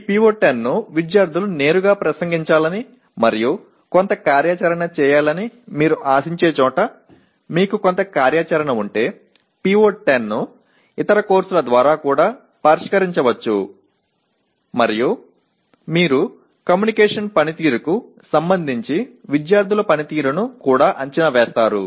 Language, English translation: Telugu, But PO10 can also be addressed through other courses if you have some activity where you expect students to directly address this PO and do some activity and you also evaluate the student performance with respect to the communication skills